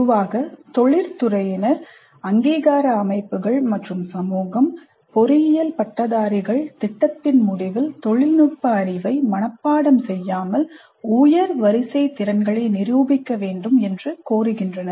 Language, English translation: Tamil, Industry, accreditation bodies and society in general are demanding that engineering graduates must demonstrate at the end of the program not just memorized technical knowledge but higher order competencies